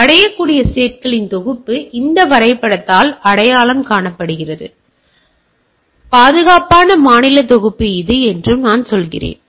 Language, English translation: Tamil, So, I say that set of reachable state is identified by this diagram, and set of secured state is this